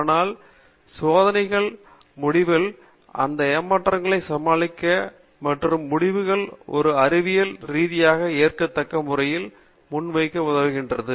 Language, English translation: Tamil, But design of experiments help us to overcome these frustrations and present the results in a scientifically acceptable manner